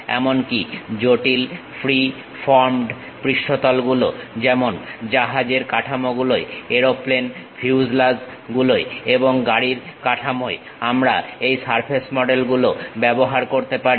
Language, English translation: Bengali, Even complex free formed surfaces like ship hulls, aeroplane fuselages and car bodies; we can use these surface models